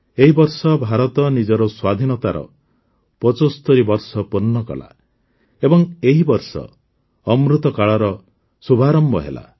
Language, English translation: Odia, This year India completed 75 years of her independence and this very year Amritkal commenced